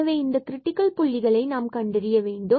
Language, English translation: Tamil, So, these are the critical points